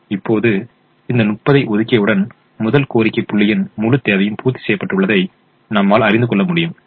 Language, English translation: Tamil, now, once we have allocated this thirty, we realize that the entire demand of the first demand point has been met